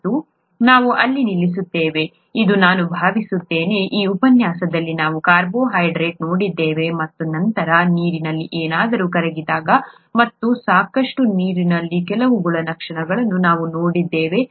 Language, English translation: Kannada, And I think we will stop here, this lecture we looked at carbohydrates and then we looked at what happens when something dissolves in water and some properties of water